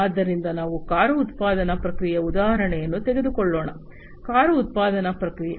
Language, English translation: Kannada, So, let us take the example of a car manufacturing process; car manufacturing process